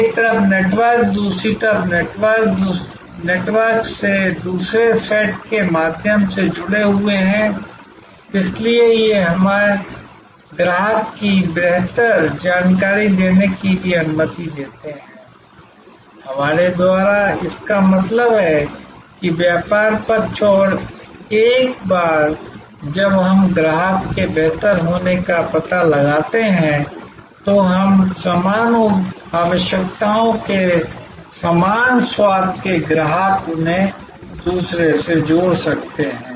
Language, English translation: Hindi, Networks on one side, networks on the other side being connected through another set of networks, so these also allows us to know the customer's better, by us we mean the business side and once we know the customer's better, we can connect them to other customers of similar tastes of similar requirements